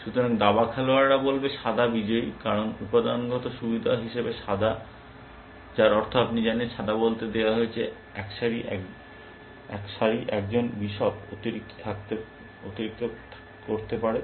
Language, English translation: Bengali, So, chess players will say, white is winning, because white as material advantage, which means you know, white is got let say, one row can one bishop extra